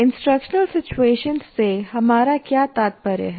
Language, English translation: Hindi, What do we mean by instructional situations